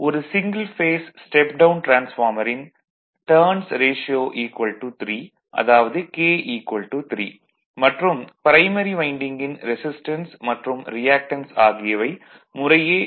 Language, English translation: Tamil, Here a single phase step down transformer has its turns ratio of 3; that is k is equal to 3, the resistance and reactance of the primary winding are 1